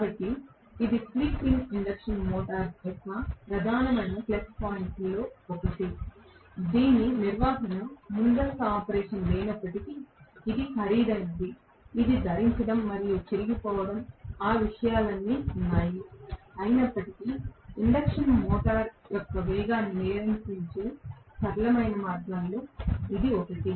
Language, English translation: Telugu, So, this is one of the major plus points of the slip ring induction motor all though it has no maintenance pre operation, it is costlier, it has wear and tear, all those things are there, nevertheless, this is one of the simplest means of controlling speed of the induction motor right